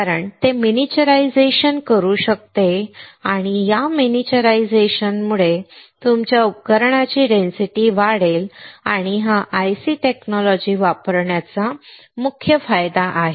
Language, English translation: Marathi, Because it can miniaturize and because of this miniaturization, your equipment density would increase, and that is the main advantage of using IC technology